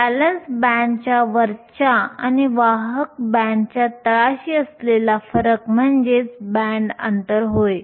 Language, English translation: Marathi, The difference between the top of the valence band and the bottom of the conduction band is the band gap